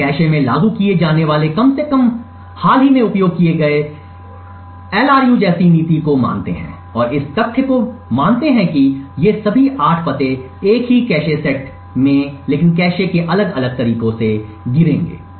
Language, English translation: Hindi, We assume policy such as the Least Recently Used to be implemented in the cache and assume the fact that all of these 8 addresses would fall in the same cache sets but in different ways of the cache